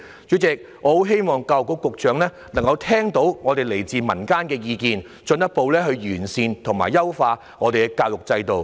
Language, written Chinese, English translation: Cantonese, 主席，我十分希望教育局局長能夠聽到這些來自民間的意見，進一步完善我們的教育制度。, President I sincerely hope that the Secretary for Education will listen to public opinions and further improve our education system